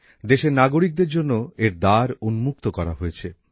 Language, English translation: Bengali, It has been opened for the citizens of the country